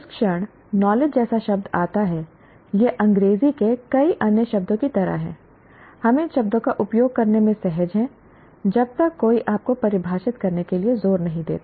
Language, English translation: Hindi, The moment you come to a word like knowledge, it's like several other words in English, we are comfortable in using the word, using these words until somebody insists you define